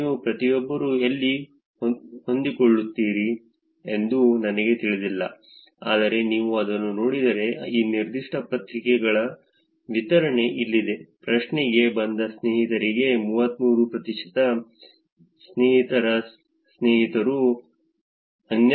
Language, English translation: Kannada, I do not know where each of you will fit in, but if you look at it, here is a distribution of responses that was got for this particular question 33 percent to friends, friends of friends is 12